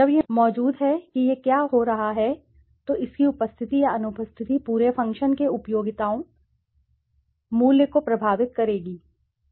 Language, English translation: Hindi, When it is present what it is happening, so its presence or absence will impact the utility value of the entire function